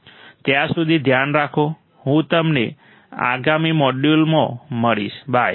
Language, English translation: Gujarati, Till then take care, I will see you in the next module, bye